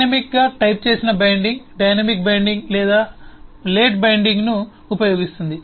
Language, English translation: Telugu, a dynamically typed binding uses dynamic binding or late binding